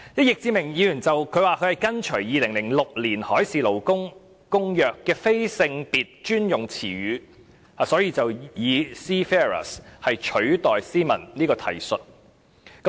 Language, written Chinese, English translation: Cantonese, 易志明議員說他是跟隨《2006年海事勞工公約》的"非性別專用詞語"，所以以 "Seafarers" 取代 "Seamen" 這個提述。, Mr Frankie YICK said that he replaced all references to Seamen by Seafarers following the non - gender specific terminology of the Maritime Labour Convention 2006